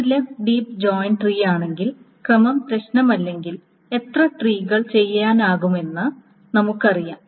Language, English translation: Malayalam, If it is a left deep tree with order does not matter then we know how many trees can be done etc etc